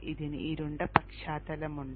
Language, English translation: Malayalam, This is having a dark background